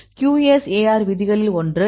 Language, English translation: Tamil, So, what is the one of the rules in the QSAR